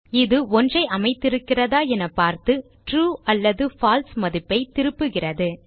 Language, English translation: Tamil, This basically returns a true or false value depending on whether something is set or not